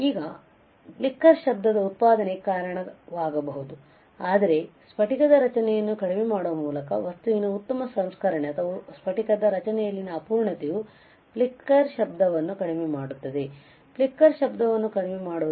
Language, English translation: Kannada, It may cause the generation of flicker noise, but the better processing better processing of the material by reducing the crystalline structure or imperfection in the crystalline structure would reduce the flicker noise would reduce the flicker noise ok